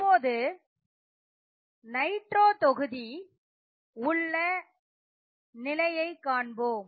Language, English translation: Tamil, Now, let us look at the case of nitro group